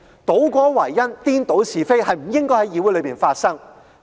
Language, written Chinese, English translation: Cantonese, 倒果為因，顛倒是非，是不應該在議會裏發生的。, Reversing the cause and the result in defiance of the facts is something that should not happen in the legislature